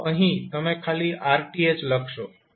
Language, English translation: Gujarati, So, you will simply write rth